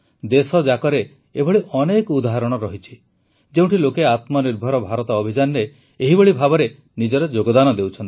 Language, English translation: Odia, there are many examples across the country where people are contributing in a similar manner to the 'Atmanirbhar Bharat Abhiyan'